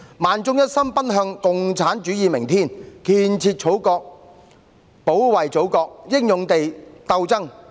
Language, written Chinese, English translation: Cantonese, 萬眾一心奔向共產主義明天！建設祖國，保衞祖國，英勇地鬥爭！, Millions with but one heart toward a communist tomorrow bravely struggle to develop and protect the motherland